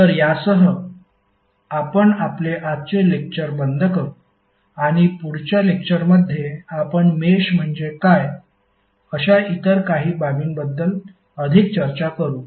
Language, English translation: Marathi, So with this we close our today’s session and in the next session we will discuss more about the other certain aspects like what is mesh